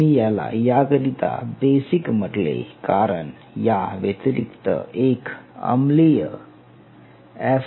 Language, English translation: Marathi, I mention it basic because there is an acidic part also